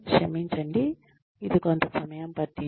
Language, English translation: Telugu, I am sorry it has taken up sometime